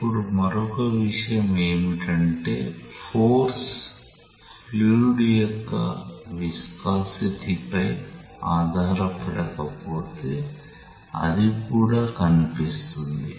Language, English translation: Telugu, Now, the other thing is that it will also appear as if the force does not depend on the viscosity of the fluid, it appears so